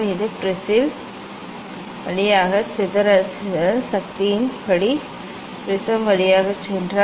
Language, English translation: Tamil, If it passes through the prism according to dispersion dispersive power of the prism